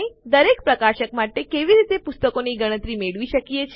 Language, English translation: Gujarati, How do we get a count of books for each publisher